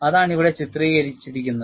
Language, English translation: Malayalam, And, that is what is depicted here